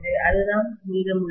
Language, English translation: Tamil, That is what is remaining